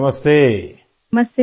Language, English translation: Urdu, Shirisha ji namastey